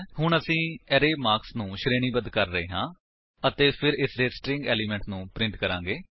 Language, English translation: Punjabi, Now we are sorting the elements of the array marks and then printing the string form of it